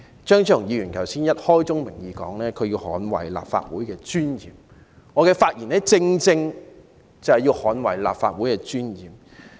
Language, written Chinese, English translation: Cantonese, 張超雄議員剛才已開宗明義表示要捍衞立法會的尊嚴，而我的發言亦正正要捍衞立法會的尊嚴。, Earlier on Dr Fernando CHEUNG declared at the outset that he had to defend the dignity of the Legislative Council and my speech also serves this very purpose